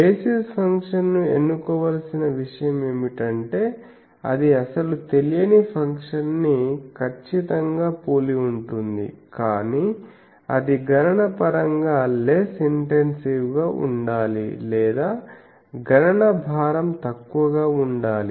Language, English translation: Telugu, So, what is thing that basis function should be chosen one thing it should be able to accurately resemble the actual unknown function, but also it should be computationally less intensive or computational burden is less